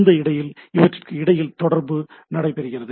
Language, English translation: Tamil, And it goes on communicating between each other